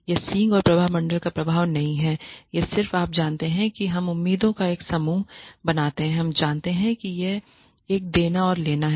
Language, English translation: Hindi, This is not the horns and halo effect, this is just a you know we form a set of expectations we you know it is a give and take